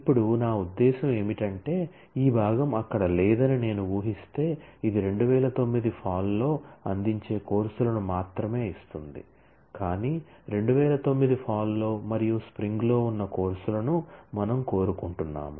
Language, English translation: Telugu, Now, we need to ensure that whatever I mean, if I assume that after this this part were not there, then this will only give me courses which are offered in fall 2009, but we want the courses that are in fall 2009 and in spring 2010